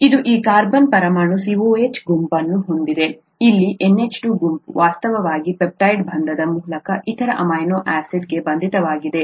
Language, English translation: Kannada, This has a COOH group here this carbon atom; the NH2 group here which is actually bonded on through the peptide bond to the other amino acid